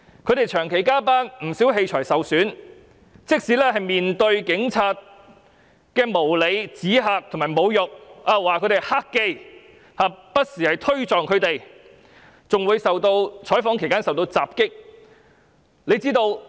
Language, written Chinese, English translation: Cantonese, 他們長期加班，不少器材受損，更要面對警察的無理指嚇和侮辱，指他們為"黑記"，更不時推撞他們，在採訪期間受到襲擊。, They had to work overtime for prolonged periods and a lot of their equipment was also damaged . Worse still they even had to face unreasonable intimidation and insults from the Police and they were stigmatized as bad journalists . Even worse they were jostled from time to time and attacked in the course of reporting